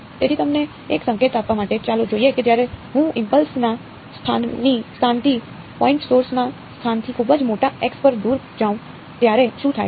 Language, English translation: Gujarati, So, as to give you a hint let us look at what happens when I go far away at very large x from the location of the point source from the location of the impulse